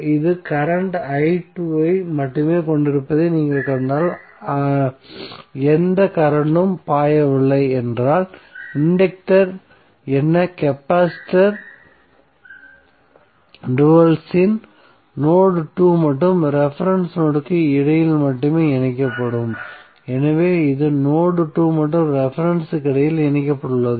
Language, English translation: Tamil, If you see this is having only current i2, no any current is flowing it means that the dual of capacitance that is inductance would be connected between node 2 and reference node only, so that is why this is connected between node 2 and reference node